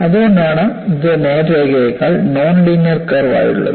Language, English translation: Malayalam, That is why this is a non linear curve rather than a straight line